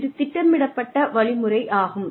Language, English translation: Tamil, Which is programmed instruction